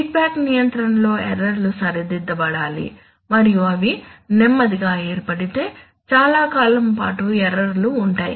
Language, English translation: Telugu, In a feedback control errors must be formed to be corrected and if they form slowly then it takes then errors exist for long periods of time